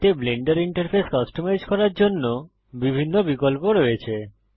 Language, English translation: Bengali, This contains several options for customizing the Blender interface